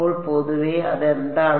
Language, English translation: Malayalam, So, in general what is it